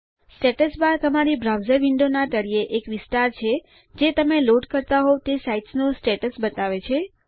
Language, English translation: Gujarati, The Status bar is the area at the bottom of your browser window that shows you the status of the site you are loading